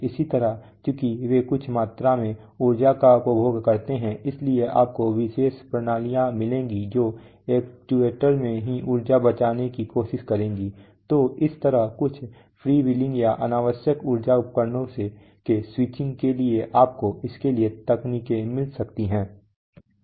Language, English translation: Hindi, Similarly since they consume some amount of energy you will find special systems which will try to save energy in the actuator itself, you know so some freewheeling or some switching of an unnecessary energy devices you may find technologies for this